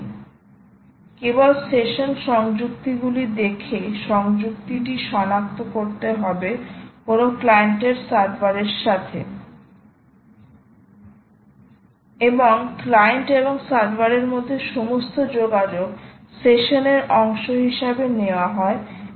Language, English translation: Bengali, so just had to look at session attaches and identify the attachment of a client, of a client, right to a server, and all communication between client and server takes place as part of the session